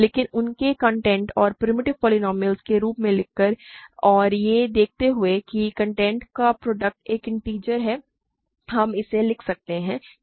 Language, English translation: Hindi, But by writing them as product of their contents and primitive polynomials and observing that the product of the contents is an integer, we can write this